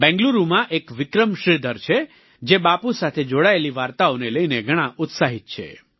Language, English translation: Gujarati, There is Vikram Sridhar in Bengaluru, who is very enthusiastic about stories related to Bapu